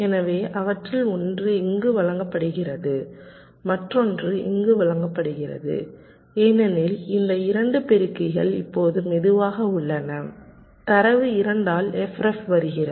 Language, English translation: Tamil, so one of them were feeding to here, other were feeding to here, because these two multipliers are no slower data coming at a f ref by two